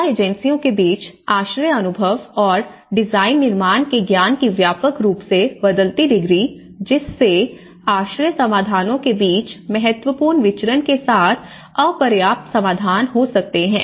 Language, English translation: Hindi, So, the widely varying degree of shelter experience and knowledge of design and construction between assistance agencies, which can lead to inadequate solutions with significant variance between shelter solutions